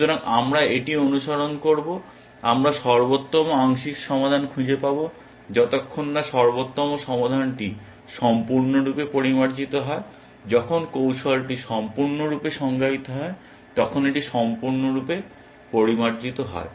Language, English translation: Bengali, So, we will follow this, we find the best looking partial solution until the best solution is fully refined when it is fully refined, when the strategy is completely defined